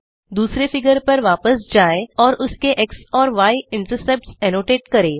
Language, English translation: Hindi, Now switch to the second figure and annotate its x and y intercepts